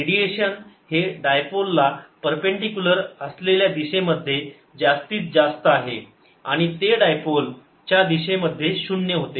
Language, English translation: Marathi, radiation is maximum in the direction perpendicular to the dipole and it is zero in the direction of the dipole